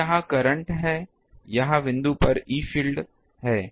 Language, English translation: Hindi, So, this is the current ah this is the e field at the point